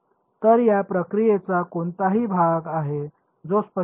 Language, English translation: Marathi, So, is there any part of this procedure which is not clear